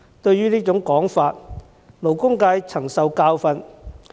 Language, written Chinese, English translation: Cantonese, 對於這種說法，勞工界曾受教訓。, Speaking of this kind of assertion the labour sector has already learnt a bitter lesson